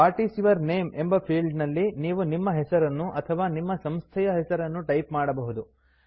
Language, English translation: Kannada, In the What is your name field, you can type your name or your organisations name